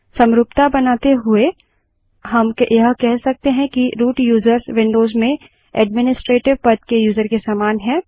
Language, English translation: Hindi, To draw an analogy we can say a root user is similar to a user in Windows with Administrator status